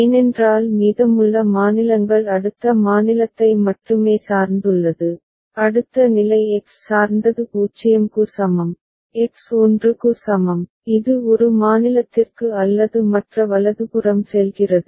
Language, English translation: Tamil, Because rest of the states are depending on next state only and next state is depending on X is equal to 0, X is equal to 1, it goes to one state or the other right